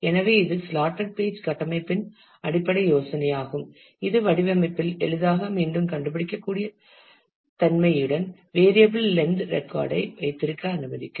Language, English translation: Tamil, So, that is the basic idea of the slotted page structure, which can allow you to have the variable length record with easy re locatability in the design